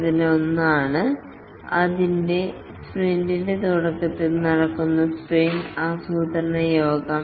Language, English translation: Malayalam, One is the sprint planning meeting which occurs at the start of a sprint